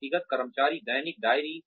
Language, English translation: Hindi, Individual employee daily diaries